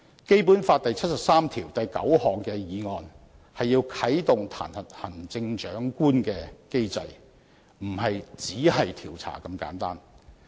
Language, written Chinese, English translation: Cantonese, 《基本法》第七十三條第九項的議案是要啟動彈劾行政長官的機制，不是"只是調查"這麼簡單。, A motion under Article 739 of the Basic Law is to initiate the mechanism to impeach the Chief Executive; it is not as simple as a mere investigation